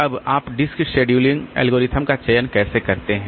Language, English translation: Hindi, Now, how do you select a dis s scheduling algorithm